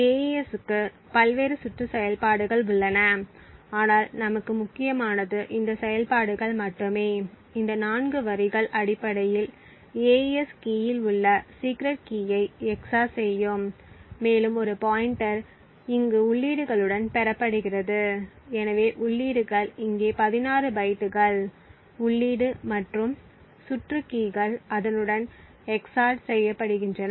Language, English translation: Tamil, The AES has several different rounds of operations but what is important for us is only these set of operations, these 4 lines essentially would XOR the secret key present in this AES key and a pointer is obtained gained over here with the inputs, so the inputs are here the 16 bytes of input and the round keys are XORed with it